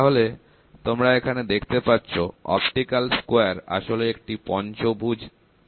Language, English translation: Bengali, So, you can see here, an optical square is essentially a pentagonal prism pentaprism